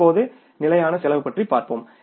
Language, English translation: Tamil, Now you talk about the fixed cost